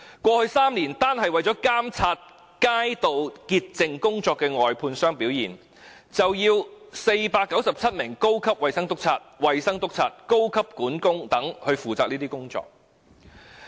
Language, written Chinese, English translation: Cantonese, 過去3年，單是為監察街道潔淨工作外判商的表現，便要497名高級衞生督察、衞生督察、高級管工等負責這些工作。, In the past three years only to monitor the performance of street cleansing contractors 497 senior health inspectors health inspectors and senior foremen were required